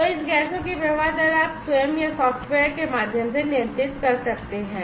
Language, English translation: Hindi, So, the flow rate of this gases you can controlled either manually or through software